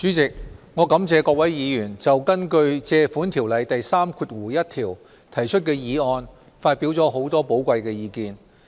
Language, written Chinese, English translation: Cantonese, 主席，我感謝各位議員就根據《借款條例》第31條提出的議案發表了很多寶貴意見。, President I thank Members for their valuable views on the Resolution moved under section 31 of the Loans Ordinance